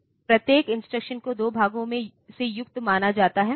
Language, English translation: Hindi, So, each instruction can be thought of to be consisting of 2 parts